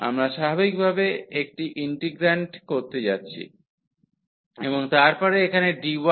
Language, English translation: Bengali, We are going to have the same integrand naturally and then here dy and dx